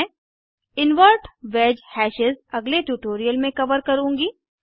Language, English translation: Hindi, I will cover Invert wedge hashes in an another tutorial